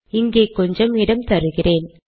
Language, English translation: Tamil, I am giving a space here